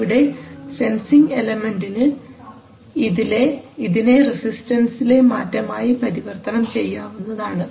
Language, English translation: Malayalam, So maybe the sensing element will convert this to a resistance change